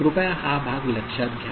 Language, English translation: Marathi, Please note this part ok